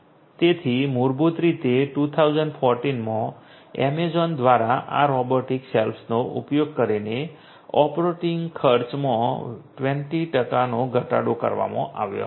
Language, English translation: Gujarati, So, basically in 2014 the operating cost was cut down by 20 percent using these robotic shelves by Amazon